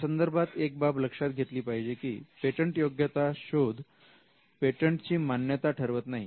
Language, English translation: Marathi, So, you need to bear in mind that a patentability search is not a report on the validity of a patent